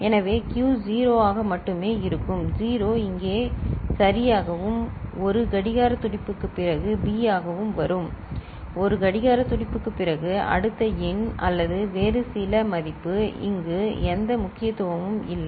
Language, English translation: Tamil, So, Q will be 0 only so, 0 will be coming here right and for B after 1 clock pulse; after 1 clock pulse the next number or some other value you know, which is of no significance will come here